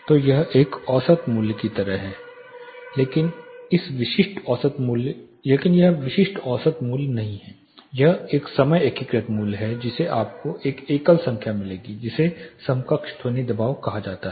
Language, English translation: Hindi, So, it is like a average value, but it is not typical average value it is a time integrated value which you will get one single number which is called equivalent sound pressure